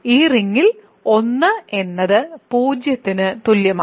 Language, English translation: Malayalam, So, in this ring there is a 1, but it is equal to 0